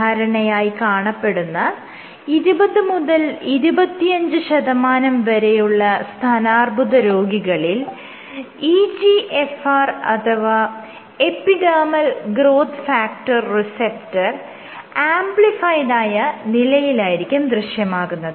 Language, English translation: Malayalam, So, what they did was, so in generally in breast cancer patients in 20 to 25 percent of these cases you have EGFR or epidermal growth factor receptor is amplified